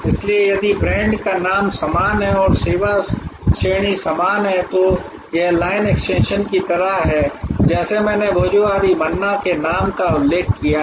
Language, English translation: Hindi, So, if the brand name is this the same and the service category remains the same to it is like the line extension like I mentioned the name of Bhojohori Manna